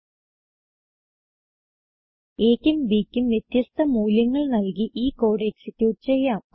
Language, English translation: Malayalam, You can try executing this code with different values of a and b